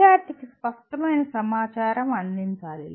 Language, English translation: Telugu, Clear information should be provided to the student